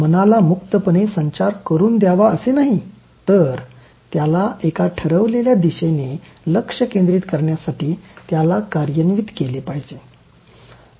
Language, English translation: Marathi, It is not to let it flow freely but to channelize it to think focused in one chosen direction